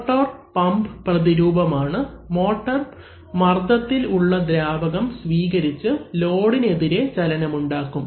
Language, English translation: Malayalam, The motor on the other hand is the counterpart of the pump, the motor receives the fluid under pressure and creates motion, against the load